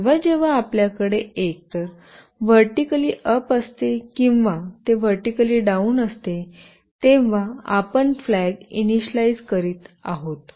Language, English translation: Marathi, Whenever we have either it is vertically up or it is vertically down, what is basically done is that we are initializing a flag